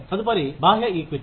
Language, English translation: Telugu, The next is external equity